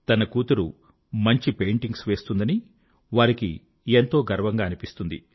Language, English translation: Telugu, She is proud of her daughter's excellent painting ability